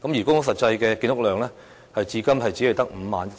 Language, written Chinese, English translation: Cantonese, 公屋實際的建屋量至今只有 51,000 個。, The actual construction volume of public housing so far is merely 51 000 units